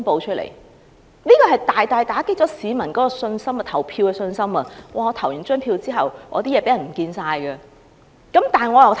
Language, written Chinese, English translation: Cantonese, 這大大打擊市民投票的信心，因為他們的資料在投票後或會遺失。, This has greatly dampened the confidence of members of the public because their information might be lost after voting